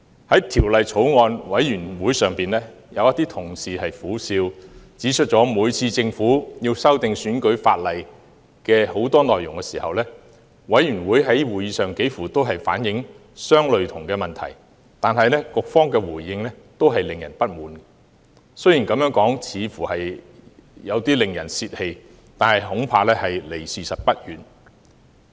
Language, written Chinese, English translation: Cantonese, 在法案委員會會議上，有同事苦笑指，每次政府要修訂選舉法例多項內容時，委員在會議上幾乎都反映相類似的問題，但局方的回應均令人不滿，雖然這樣說似乎有點令人泄氣，但恐怕離事實不遠。, At meetings of the Bills Committee some members pointed out with a bitter smile that every time the Government proposed amendments to the electoral legislation members would express similar problems at meetings but the Policy Bureau would invariably give unsatisfactory responses . Although what I said is a bit discouraging I am afraid it is not far from the truth